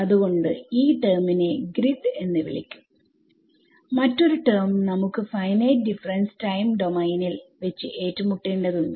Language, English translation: Malayalam, So, this is this term is called grid another term that we will encounter in finite difference time domain